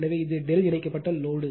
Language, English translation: Tamil, So, this is delta connected load